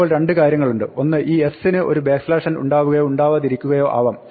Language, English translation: Malayalam, Now, there are two things; one is this s may or may not have a backslash n, it may have more than one backslash n